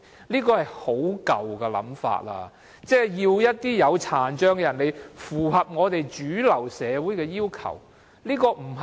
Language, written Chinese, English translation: Cantonese, 這是很舊的想法，是要求殘障人士來符合主流社會的要求。, This is an out - dated idea which requires persons with disabilities to adapt to the requirement of the mainstream community